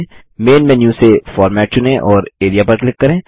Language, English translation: Hindi, From the Main menu, select Format and click Area